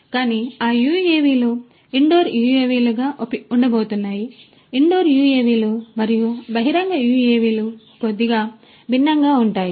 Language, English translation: Telugu, But, those UAVs are going to be different those are going to be the indoor UAVs; indoor UAVs and outdoor UAVs are little different